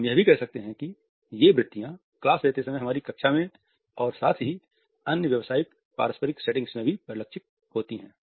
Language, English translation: Hindi, We can also say that these tendencies are reflected in our classroom also when we are engaging a class as well as in other professional interpersonal settings